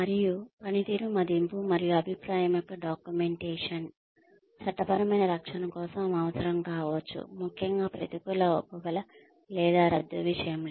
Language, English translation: Telugu, And, documentation of performance appraisal and feedback, may be needed for legal defense, especially in the case of negative reinforcement or termination